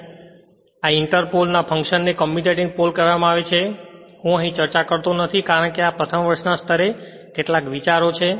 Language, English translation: Gujarati, So, function of this your inter pole called commutating pole etcetera I am not discussing here, because this first year level just some ideas right